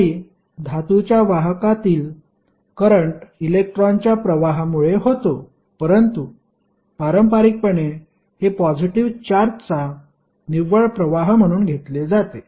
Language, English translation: Marathi, Although current in a metallic conductor is due to flow of electrons but conventionally it is taken as current as net flow of positive charge